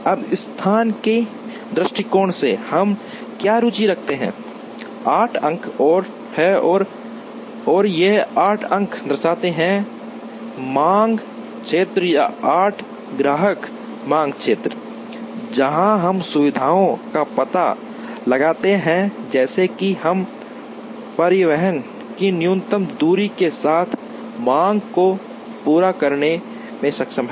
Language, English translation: Hindi, Now, from the location point of view, what we are interested is, is there are 8 points and these 8 points represent demand areas or 8 customer demand areas, where we do locate the facilities such that, we are able to meet the demand with minimum distance of transportation